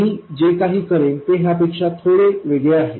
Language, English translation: Marathi, What I will do is slightly different from that